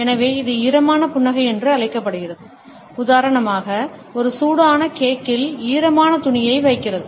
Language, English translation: Tamil, So, this is known as a dampening smile, putting a damp cloth on a warm cake for example